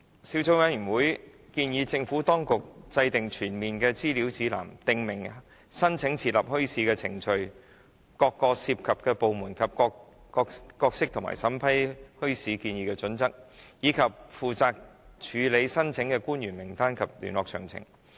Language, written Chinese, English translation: Cantonese, 小組委員會建議政府當局制訂全面的資料指南，訂明申請設立墟市的程序，各涉及部門的角色及其審批墟市建議的準則，以及負責處理墟市申請官員的名單及聯絡詳情。, The Subcommittee recommends that the Administration should develop a comprehensive information guide setting out the application procedures for establishment of bazaars the roles of various departments involved and their criteria for vetting bazaar proposals as well as the names and contact details of the officials responsible for handling bazaar applications